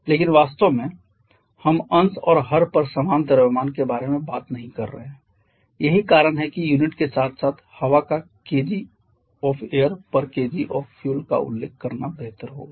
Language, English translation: Hindi, But actually we are not talking about the same mass or numerator and denominator that is why it is better to you mention the unit as well kg of air per kg of fuel